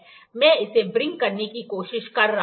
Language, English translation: Hindi, I am trying to wring it